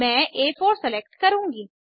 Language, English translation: Hindi, I will select A4